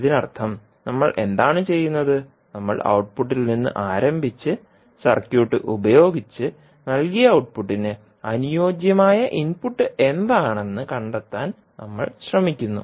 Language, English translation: Malayalam, It means that what we are doing, we are starting from output and using the circuit we are trying to find out what would be the corresponding input for the output given to the circuit